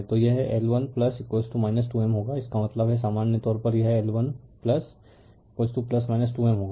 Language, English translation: Hindi, So, it will be in L 1 plus L 2 minus 2 M right so; that means, in general it will be L 1 plus L 2 plus minus 2 M right